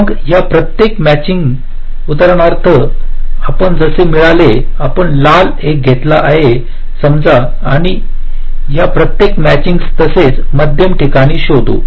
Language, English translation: Marathi, then, for each of these matchings we have found out, like, for example, if i take the red one, suppose you have take the red one, but each of these matchings, well, find the middle points